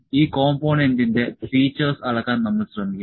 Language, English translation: Malayalam, We will try to measure the features of this component